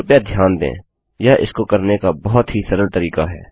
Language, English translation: Hindi, Please note, this is a very simple way of doing this